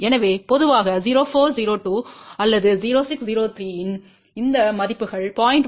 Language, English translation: Tamil, So, typically these values of 0402 or 0603 they can handle only about 0